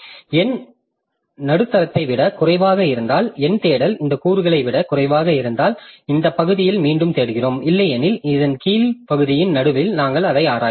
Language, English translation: Tamil, And if the number is less than the middle, the number search is less than this element, then we search in this portion again probing at the middle